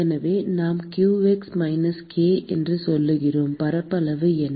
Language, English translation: Tamil, So, we say that qx is minus k what is the area